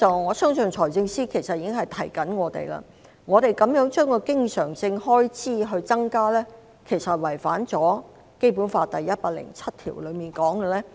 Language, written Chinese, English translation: Cantonese, 我相信財政司司長在提醒我們，經常性開支的增幅，其實違反了《基本法》第一百零七條所訂立的原則。, I believe the Financial Secretary is reminding us that the increase in recurrent expenditure will actually violate the principle as stipulated in Article 107 of the Basic Law